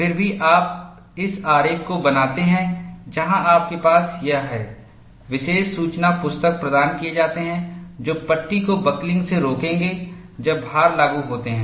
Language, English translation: Hindi, Nevertheless, you draw this diagram, where you have this, special guides are provided which will prevent the panel from buckling, when loads are applied